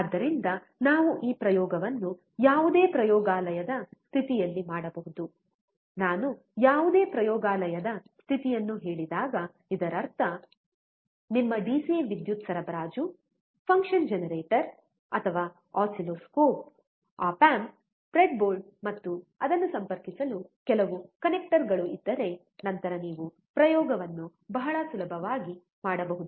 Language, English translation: Kannada, So, we can perform this experiment in any laboratory condition, when I say any laboratory condition, it means if you have your DC power supply, a function generator or oscilloscope, op amp, breadboard, and some connectors to connect it, then you can perform the experiment very easily